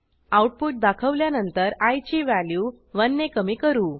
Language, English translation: Marathi, After the output is displayed, we decrement the value of i by 1